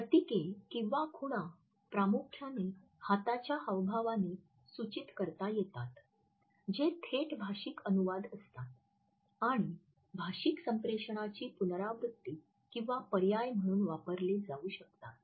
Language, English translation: Marathi, Emblems primarily imply hand gestures that away direct verbal translation and can be used to either repeat or substitute the verbal communication